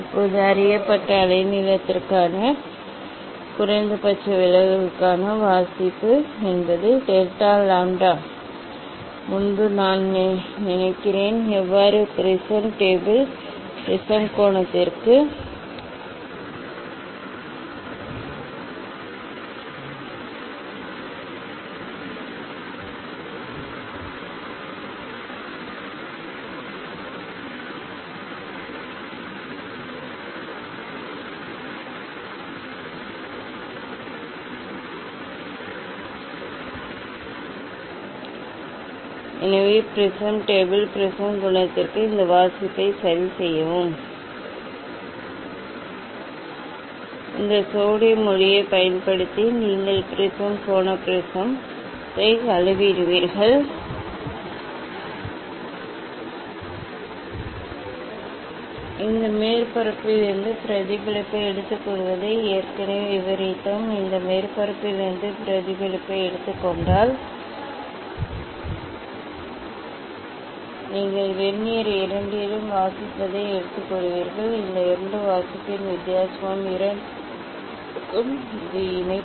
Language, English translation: Tamil, Now, reading for the minimum deviation for known wavelength means delta lambda versus lambda I think before doing this experiment, so let us do this one reading for the prism table prism angle using this sodium light itself you measure the prism angle prism angle; how to measure already we have described taking the reflection from this surface; taking the reflection from this surface you take reading you take reading in both Vernier and difference of this two reading will give the two way, this is the affix